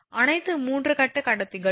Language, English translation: Tamil, All the all the 3 phase conductors